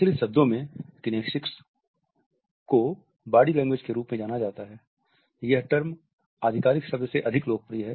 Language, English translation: Hindi, In popular discourse kinesics is known as body language, the term which is more popular than the official one